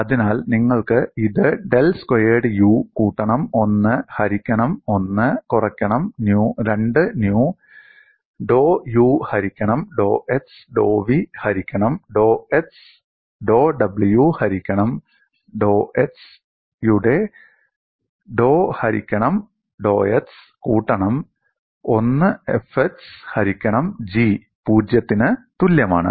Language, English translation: Malayalam, So, you have this as del squared u plus 1 by 1 minus 2 nu dou by dou x of dou u by dou x plus dou v dou y plus dou w by dou z plus 1 by G F suffix x equal to 0